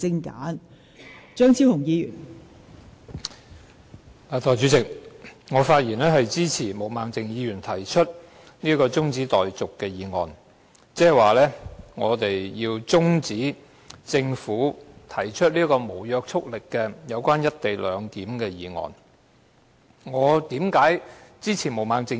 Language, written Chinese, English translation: Cantonese, 代理主席，我發言支持毛孟靜議員提出的中止待續議案，換言之，我們要中止辯論政府提出的這項有關"一地兩檢"安排的無約束力議案。, Deputy President I speak in support of the adjournment motion moved by Ms Claudia MO . In other words we wish to adjourn the debate on the non - legally binding government motion on the co - location arrangement